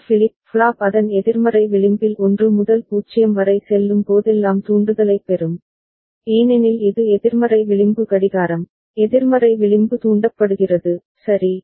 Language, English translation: Tamil, This flip flop will get the trigger, whenever A goes from 1 to 0 at the negative edge of it, because it is an negative edge clock, negative edge triggered, right